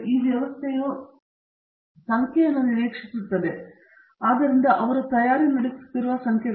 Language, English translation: Kannada, The system expects the numbers therefore, they are busy preparing numbers